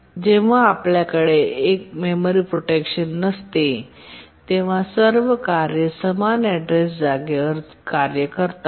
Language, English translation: Marathi, When we don't have memory protection, all tasks operate on the same address space